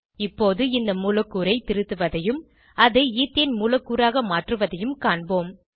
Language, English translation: Tamil, Now lets see how to edit this molecule and convert it to Ethane molecule